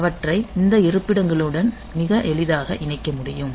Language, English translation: Tamil, So, they can be very easily put into associated with these locations